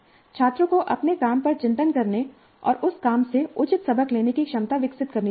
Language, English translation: Hindi, Students must develop the capacity to reflect on their work and draw appropriate lessons from that work